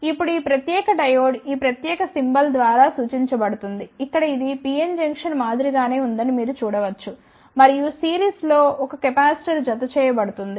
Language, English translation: Telugu, Now, this particular diode is represented by this particular symbol, here you can see this is similar to the pn junction and in series the 1 capacitor is added